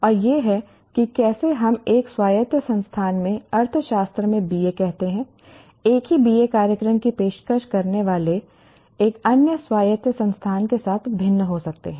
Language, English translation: Hindi, And this is how, let us say a BA in economics in one autonomous institution, A, can differ with another autonomous institution offering same BA program